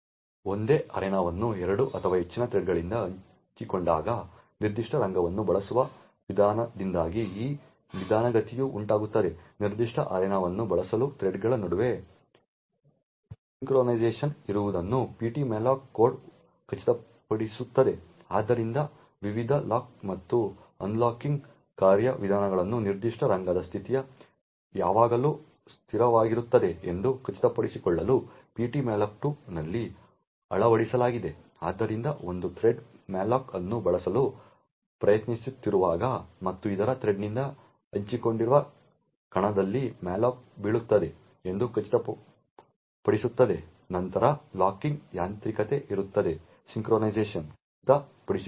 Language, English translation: Kannada, This slowdown is caused due to the contention for using a particular arena when a single arena is shared by 2 or more threads the ptmalloc code ensures that there is synchronisation between the threads in order to use the particular arena, so a various locking and unlocking mechanisms are implemented in ptmalloc2 to ensure that the state of the particular arena is always consistent, so it ensures that when one thread is trying to use a malloc and that malloc falls in an arena which is also shared by other thread then there is a locking mechanism to ensure synchronisation